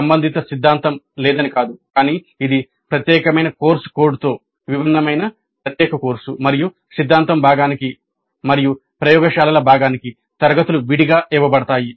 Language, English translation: Telugu, It's not that there is no corresponding theory but it is a distinct separate course with a separate course code and grades are awarded separately for the theory part and for the laboratory part